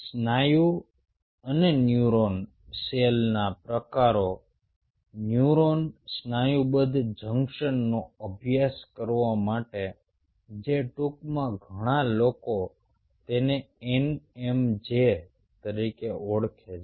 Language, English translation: Gujarati, here a means, a population right muscle and a neuron cell types to study neuro muscular junction, neuro muscular junction which, in short, many peoples call it as n m j